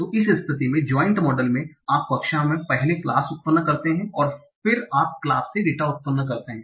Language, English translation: Hindi, So in the in the joint model you first have the class, you first generate the class and then you generate the data from the class